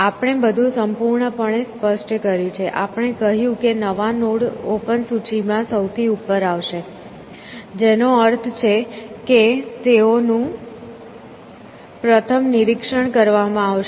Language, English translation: Gujarati, We have specified everything completely; we have said that the new nodes will come at the head of the open list, which means they will be inspected first